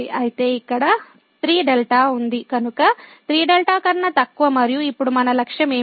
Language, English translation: Telugu, So, here 3 was there; so, less than 3 delta and what is our aim now